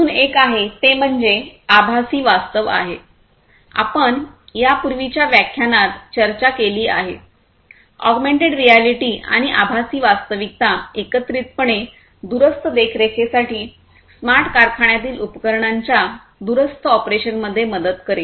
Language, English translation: Marathi, In fact, there is another one which is the virtual reality, that also we have discussed in another lecture, augmented reality and virtual reality together will help in remote monitoring, remote operations of instruments in a smart factory